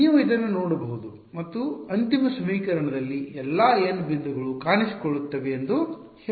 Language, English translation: Kannada, Can you look at this and say which all n points will appear in the final equation ok